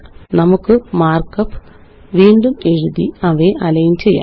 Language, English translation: Malayalam, Let us rewrite the mark up to align them